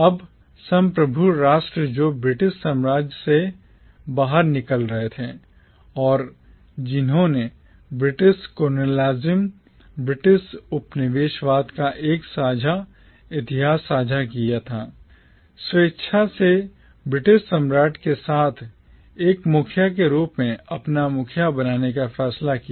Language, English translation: Hindi, Now the sovereign nation states which were emerging out of the British empire and which shared a common history of British colonialism, voluntarily decided to form a confederation with the British monarch as its head